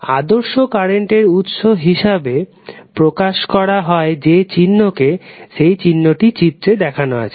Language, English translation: Bengali, Ideal current source is represented by this symbol